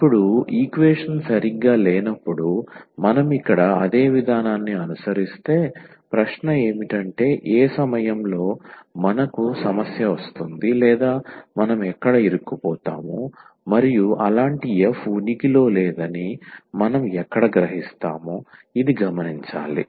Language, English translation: Telugu, Now, the question is if we follow the same process here when the equation is not exact then at what point we will get the problem or where we will stuck, and where we will realize that such f does not exists